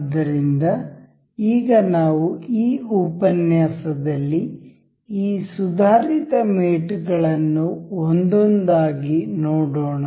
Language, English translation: Kannada, So, now, we will in this lecture, we will go about these advanced mates one by one